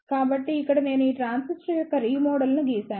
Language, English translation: Telugu, So, here I have drawn the R E model of this transistor